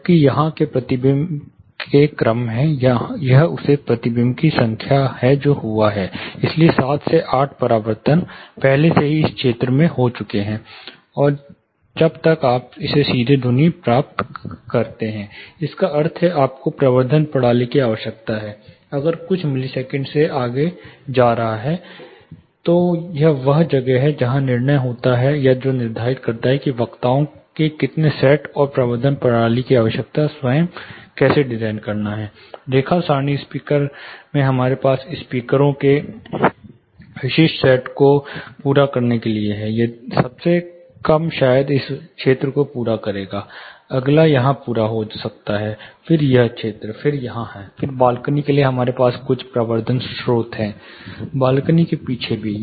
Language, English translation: Hindi, Whereas, here these are the order of reflection; that is number of reflections it has happened you know around 7 to 8 reflections have already happened in this area by the time you get the direct sound, which means you need amplification system if it is going beyond certain milliseconds; that is where the deciding point happens, where how many sets of speakers and how to design the amplification system itself, say line array speaker we have specific set of speakers to cater, say the lowermost probably would cater to this zone, the next might cater to this zone, then here, then one for the balcony we have certain amplification sources, you know behind the balcony also